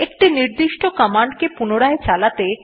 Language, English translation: Bengali, In order to repeat a particular command